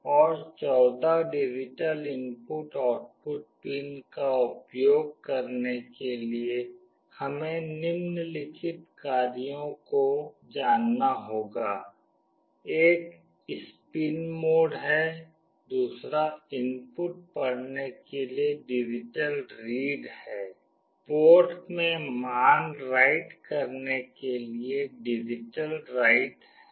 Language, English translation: Hindi, And for using the 14 digital input output pins, we need to know the following functions: one is spin mode, another is digital read for reading the input, digital write to write the value into the port